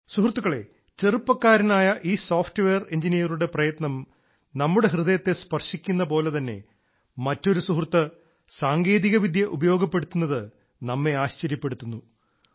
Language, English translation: Malayalam, Friends, on the one hand this effort of a young software engineer touches our hearts; on the other the use of technology by one of our friends will amaze us